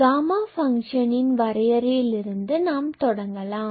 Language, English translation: Tamil, So, let us start with the definition of gamma function